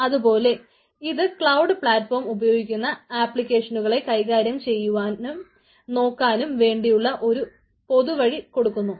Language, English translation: Malayalam, so provide a common way to manage monitor applications that use the cloud platform